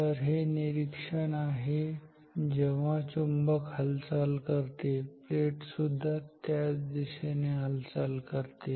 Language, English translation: Marathi, So, this is the observation, when the magnet moves the plate also moves in the same direction